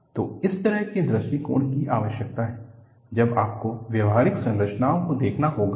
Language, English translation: Hindi, So, this kind of approach is needed, when you have to handle practical problems